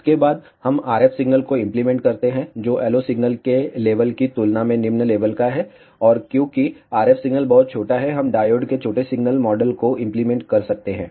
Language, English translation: Hindi, After this, we apply the RF signal which is of low level compared to the level of the LO signal, and because the RF signal is very small, we can apply the small signal model of the diode